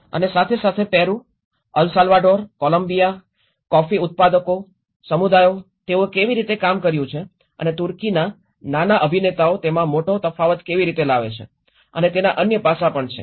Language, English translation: Gujarati, And there are also other aspects in Peru, El Salvador, Columbia, the coffee growers communities, how they have worked on and Turkey how the small actors make a big difference in it